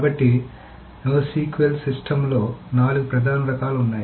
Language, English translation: Telugu, So, there are four main types of no SQL systems